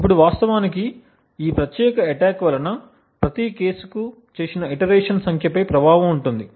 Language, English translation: Telugu, Now what actually is affected by this particular attack is the number of iterations that are done for each case